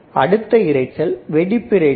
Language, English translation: Tamil, Let us see next one which is burst noise